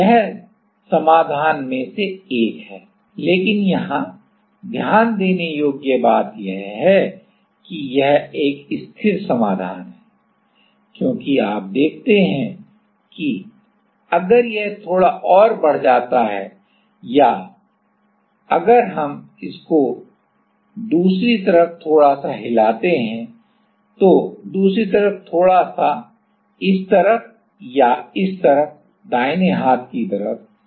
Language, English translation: Hindi, So, this is one of the solution, but the point to note here is that this is a stable solution why, because you see that, if it increased little bit more or if we have a perturbation from this a point little bit on the other side, or at this side at this side, the right hand side